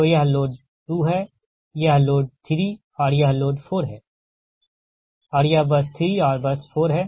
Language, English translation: Hindi, this is load three and load four, which is it, and that is at bus three and bus four